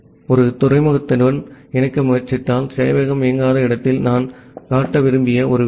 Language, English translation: Tamil, And well one thing that I wanted to show that if you try to connect to a port, where the server is not running